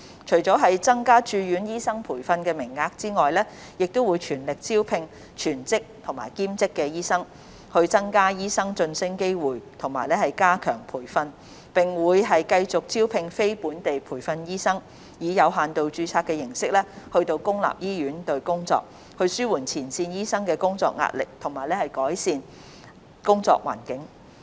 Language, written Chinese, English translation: Cantonese, 除了增加駐院醫生培訓名額，亦會全力招聘全職和兼職醫生、增加醫生晉升機會及加強培訓，並會繼續招聘非本地培訓醫生，以有限度註冊形式到公立醫院工作，紓緩前線醫生的工作壓力和改善工作環境。, In addition to increasing the number of Resident Trainee posts HA will strive to recruit more full - time and part - time doctors increase promotion opportunities and enhance training and continue to recruit non - locally trained doctors to serve in public hospitals under limited registration so as to relieve the work pressure on frontline doctors and improve the working environment